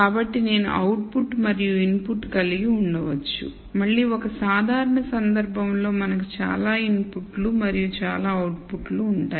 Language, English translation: Telugu, So, I might have an out put and an input so again in a general case we will have many inputs and many outputs